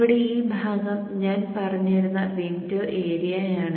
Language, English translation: Malayalam, So this area here is called the window area